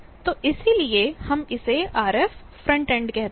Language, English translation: Hindi, So, that is why we call it RF frontend